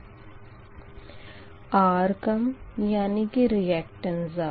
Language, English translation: Hindi, right, where r i less and reactance is high